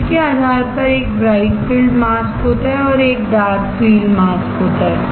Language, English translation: Hindi, Based on the field there is a bright field mask, and there is a dark field mask